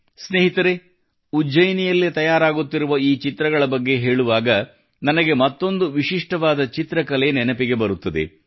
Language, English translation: Kannada, Friends, while referring to these paintings being made in Ujjain, I am reminded of another unique painting